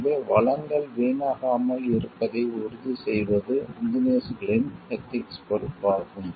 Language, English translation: Tamil, So, it becomes an ethical responsibility of the engineers also to make sure that the resources are not wasted